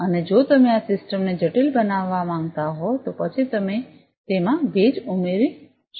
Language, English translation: Gujarati, And if you want to make this system complicated, then you can add humidity into it